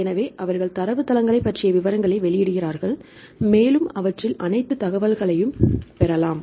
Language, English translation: Tamil, So, they publish the details about the databases and you can get all the information regarding that fine